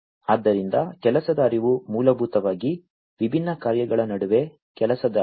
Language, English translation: Kannada, So, workflow is basically the workflow among the different tasks that flow of different tasks